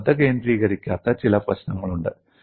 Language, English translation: Malayalam, There are certain issues which you have not focused